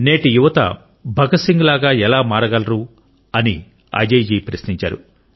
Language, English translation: Telugu, Ajay ji writes How can today's youth strive to be like Bhagat Singh